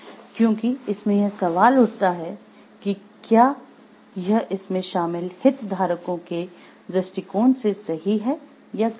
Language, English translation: Hindi, Because there comes the question of whether it is right and wrong from the perspective of the stakeholders involved